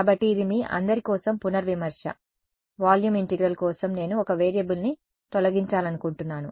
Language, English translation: Telugu, So, this is the revision for you all for volume integral I want to eliminate one variable